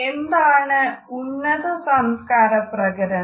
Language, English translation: Malayalam, What is high context culture